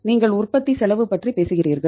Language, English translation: Tamil, You talk about the cost of the production